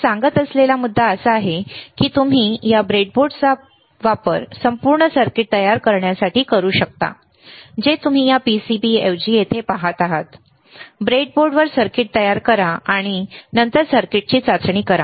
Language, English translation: Marathi, The point that I am making is that you can use this breadboard to create entire circuit, which you are looking at here instead of this PCB, create the circuit on the breadboard, and then test the circuit